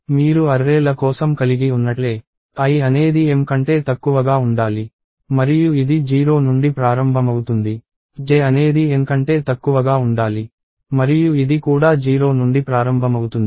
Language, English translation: Telugu, Just as you have for arrays, i should be less than m and it starts from 0; j should be less than n and it starts from 0 as well